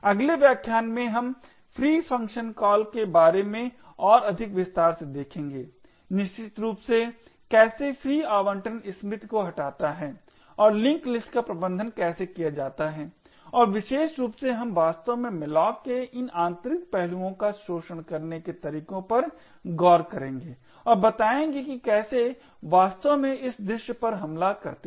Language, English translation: Hindi, In the next lecture we will look at more into detail about the free function call essentially how free deallocates the allocated memory and how the link list are managed and in particular we will actually look at the ways to exploit this internal aspects of malloc and how to actually create an attack on this scene